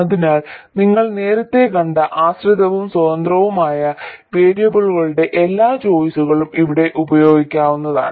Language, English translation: Malayalam, So, all the choices of dependent and independent variables you saw earlier can also be used here